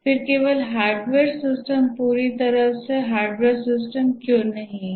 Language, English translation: Hindi, Otherwise there will be entirely hardware systems